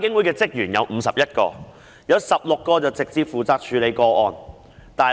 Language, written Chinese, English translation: Cantonese, 監警會有51名職員，當中16人直接負責處理個案。, IPCC has 51 staff members with 16 of them being directly in charge of handling of cases